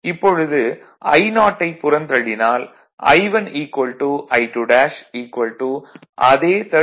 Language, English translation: Tamil, So, from which we will get I 1 is equal to 43